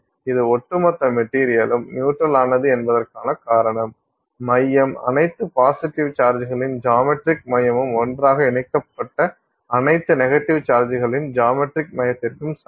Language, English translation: Tamil, The reason it is the overall material is neutral is that the center, the geometric center of all the positive charges put together is the same as the geometric center of all the negative charges put together